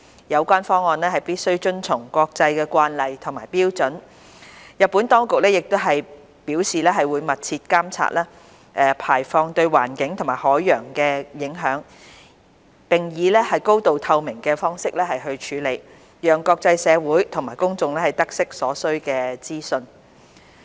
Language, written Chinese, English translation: Cantonese, 有關方案必須遵從國際慣例和標準，日本當局亦表示會密切監察排放對環境及海洋的影響，並以高透明度方式處理，讓國際社會及公眾得悉所需資訊。, Besides the Japanese authorities have indicated that they will closely monitor the impact of the discharge on the environment and the ocean and will keep the international community and the public notified of necessary information in a transparent manner